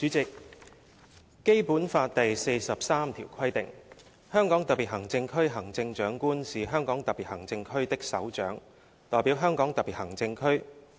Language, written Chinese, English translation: Cantonese, 主席，《基本法》第四十三條規定："香港特別行政區行政長官是香港特別行政區的首長，代表香港特別行政區。, President Article 43 of the Basic Law provides that The Chief Executive of the Hong Kong Special Administrative Region shall be the head of the Hong Kong Special Administrative Region and shall represent the Region